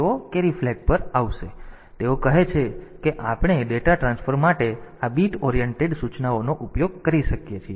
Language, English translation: Gujarati, So, they say we can use these bit oriented instructions for data transfer